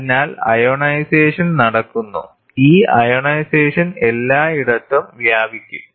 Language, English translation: Malayalam, So, there is ionization happening, this ionization can spread everywhere